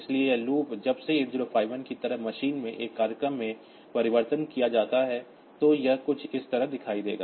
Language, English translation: Hindi, So, this loop when it is converted into a program in machine like 8051 program, so it will look something like this